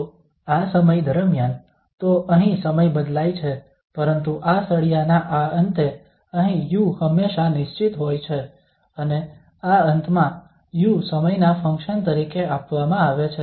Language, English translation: Gujarati, So at this end throughout the time, so here the time varies but at this end of this bar here u is always fixed and at this end u is given as a function of time